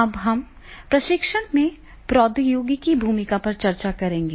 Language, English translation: Hindi, Today, we will discuss the role of technology in training